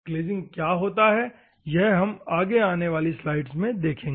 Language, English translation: Hindi, We will see what is mean by glazing and other things in the upcoming slides